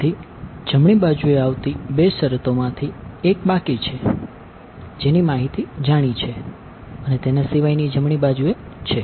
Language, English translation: Gujarati, So, of the two terms that come on the right hand side one remains, which has a known information and the rest goes back right